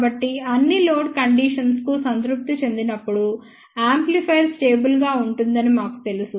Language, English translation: Telugu, So, we know that amplifier will be stable when it is satisfy for all the load conditions